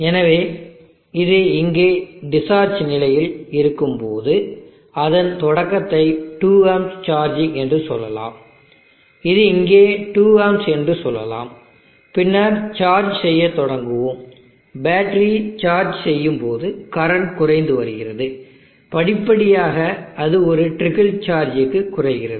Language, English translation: Tamil, So when it is in discharge condition here its start at 2amps charging let us say around here 2amps and then starts charging as the battery charging the current is decreasing gradually it decreases to article charge